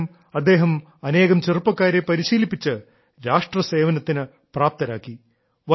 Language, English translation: Malayalam, Despite this, on the basis of his own training, he has made many youth worthy of national service